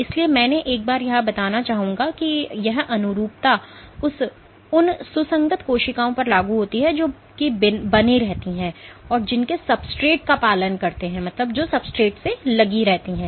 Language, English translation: Hindi, So, I would like to state here once that this analogy applies to adherent cells that are which stay put which adhere to their substrate